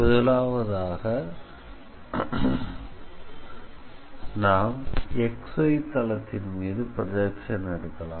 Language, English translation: Tamil, So, if we take the projection on XY plane